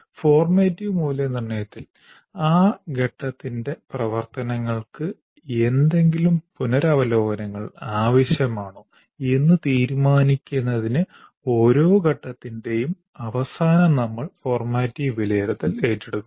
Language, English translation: Malayalam, In formative evaluation, we undertake the formative evaluation at the end of every phase to decide whether any revisions are necessary to the activities of that phase